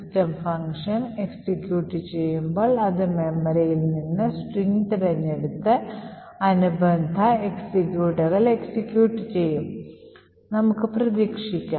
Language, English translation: Malayalam, So, what is expected to happen is that when system executes, it would pick the string from the memory and execute that corresponding executable